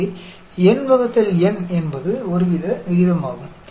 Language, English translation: Tamil, So, n by N is some sort of a ratio